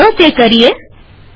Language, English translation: Gujarati, Let us do that now